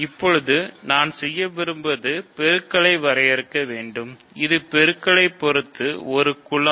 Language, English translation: Tamil, What now I want to do is give define multiplication so, this is a group